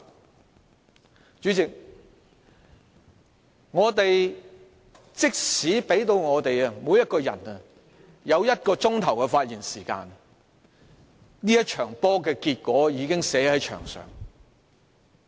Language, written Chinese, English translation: Cantonese, 代理主席，即使每位議員獲給予1小時發言時間，這場球賽的結果早已寫在牆上。, Deputy President even if each Member is given an hour to speak the result of the match is already written on the wall